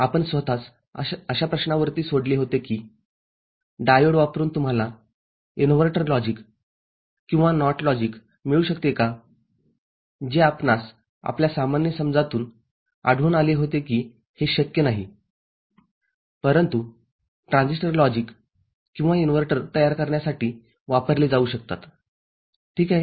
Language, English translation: Marathi, We left ourselves with a question that whether you can get an inverter logic or NOT logic using diode which we found that from our common understanding it is not possible, but transistors can be used for generating NOT logic or inverter ok